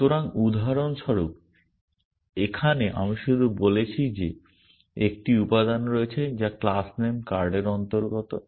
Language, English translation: Bengali, So, for example, here I have only said that there is an element which belongs to the class name card